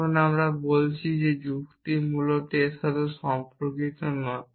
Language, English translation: Bengali, Now, we are saying that logic is not concern with that essentially